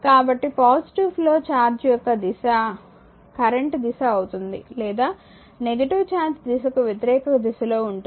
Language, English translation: Telugu, So, the way the direction of the positive flow charge is these are the direction of the current or the opposite to the directive flow of the charge